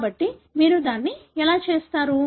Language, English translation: Telugu, So, that is how you do it